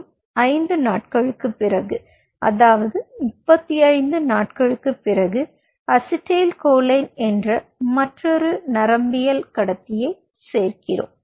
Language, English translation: Tamil, you know, kind of, you know, after five days, which is on a thirty, fifth day, we add another neurotransmitter which is acetylcholine